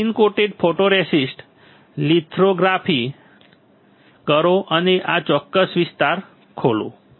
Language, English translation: Gujarati, Spin coat photoresist, do lithography and open this particular area